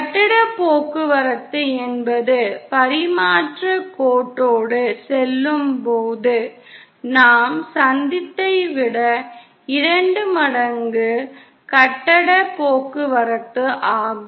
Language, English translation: Tamil, And the phase transit is twice the phase transit of as of that what we encountered while going along the transmission line